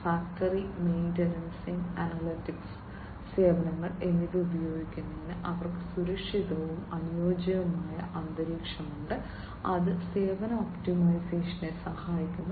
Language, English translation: Malayalam, They have a secure and compatible environment for use of factory maintenance, and analytical services that helps in service optimization